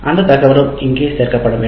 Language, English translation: Tamil, So that information should be appended here